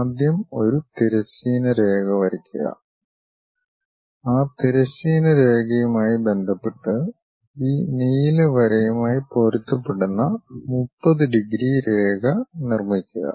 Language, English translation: Malayalam, First draw a horizontal line, with respect to that horizontal line, construct a 30 degrees line that line matches with this blue line